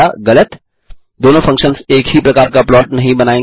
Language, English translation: Hindi, Both functions do not produce the same kind of plot